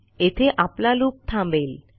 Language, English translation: Marathi, So, our loop here has stopped